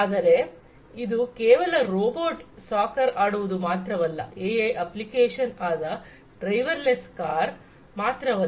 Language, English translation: Kannada, But, it is not just robot playing soccer, it is not just the driverless cars where, AI has found application